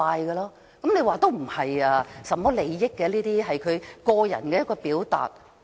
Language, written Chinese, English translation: Cantonese, 有人說，這事不涉及利益，只是他的個人表達。, Some said that the protest did not involve interests and he was just expressing his personal opinions